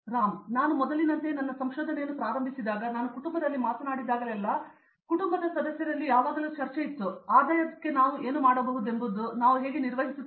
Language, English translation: Kannada, When I started doing my research like before when I was an under grade, seriously when whenever I talked in the family like, there will always be discussion in the family members like what we can do like something like income how do you manage it and all